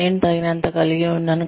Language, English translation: Telugu, I have had enough